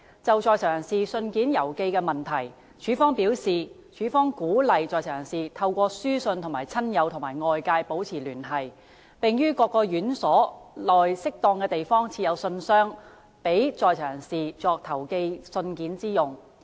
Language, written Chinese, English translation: Cantonese, 就在囚人士信件郵寄的問題，署方表示，署方鼓勵在囚人士透過書信與親友及外界保持聯繫，並於各院所內適當地方設有信箱，供在囚人士作投寄信件之用。, Regarding the mailing arrangement for inmates according to CSD inmates are encouraged to keep in touch with their families and friends in the outside world through letters and mailboxes are placed in appropriate places in various correctional institutions for them to post their letters